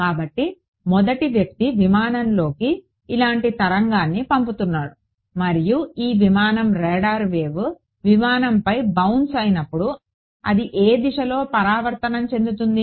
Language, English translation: Telugu, So, the first guy is sending a wave with like this to the aircraft and this aircraft is going to when the radar wave bounces on the aircraft it is going to get reflected in which direction